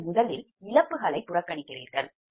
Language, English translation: Tamil, you neglect the line losses first